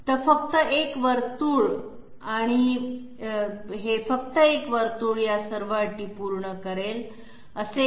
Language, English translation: Marathi, So a circle and only one circle will satisfy all these conditions, why so